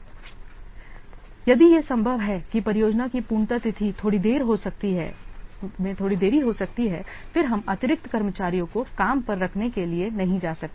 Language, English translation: Hindi, So, if it is possible that the projects completion date can be delayed a little bit, then we may not go for this word hiring additional staff